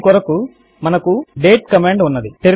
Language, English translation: Telugu, For this we have the date command